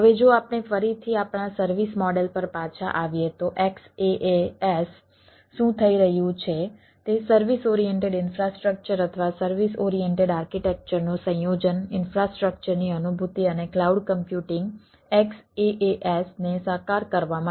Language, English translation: Gujarati, so, xaas, what is happening is the combination of service oriented infrastructure or a service oriented architecture on in for realization of infrastructure and cloud computing realize to a xaas